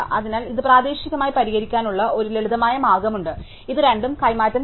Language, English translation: Malayalam, So, there is a simple way of fix this locally at least and that is to exchange these two